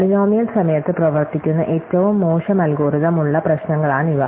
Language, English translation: Malayalam, These are problems for which you have a worst case algorithm which runs in polynomial time